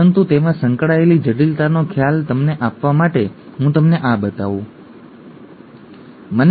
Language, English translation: Gujarati, But, to give you an idea of the complexity that is involved let me just show you this